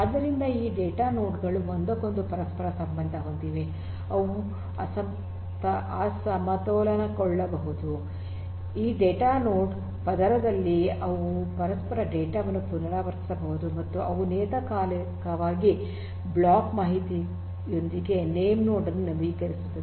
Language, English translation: Kannada, So, this data nodes also are interconnected with each other, they can imbalance, they can replicate the data across each other in this data node layer and they update the name node with the block information periodically